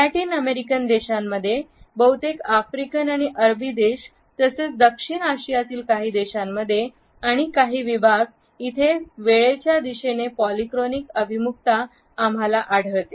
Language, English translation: Marathi, In Latin American countries, in most of the African and Arabic countries as well as in some countries and certain segments in South Asia we find that a polychronic orientation towards time is followed